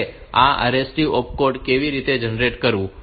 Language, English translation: Gujarati, Now, how to generate this RST opcode